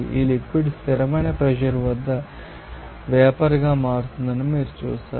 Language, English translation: Telugu, You will see that this liquid will be converting into vapour at a constant you know pressure